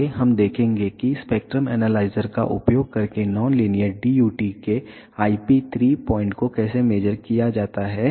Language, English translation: Hindi, Next we will see how to measure IP 3 point of a non linear DUT using spectrum analyzer